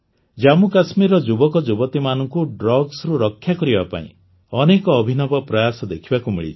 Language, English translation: Odia, To save the youth of Jammu and Kashmir from drugs, many innovative efforts have been visible